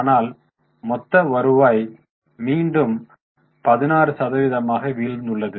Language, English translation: Tamil, So, total revenue again has a 16% fall